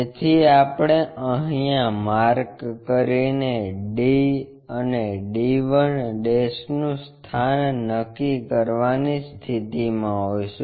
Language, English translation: Gujarati, So, we will be in a position to make a cut here to locate d and to locate d 1', d 1